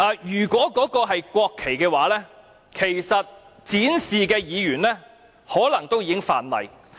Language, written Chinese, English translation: Cantonese, 如果那些是國旗，展示它們的議員其實可能已觸犯法例。, If they are national flags Members who displayed them might have actually broken the law